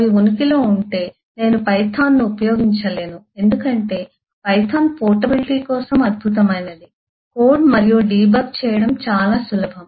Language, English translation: Telugu, if it they exist, then i cannot use python because python, while it is excellent for portability, simple, easy to code and give up, is moderately slow